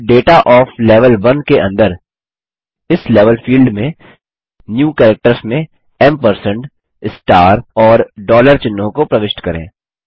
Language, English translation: Hindi, Now, under Data of Level 1, in the New Characters in this Level field, enter the symbols ampersand, star, and dollar